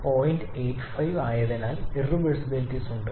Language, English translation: Malayalam, 85 so there are irreversibilities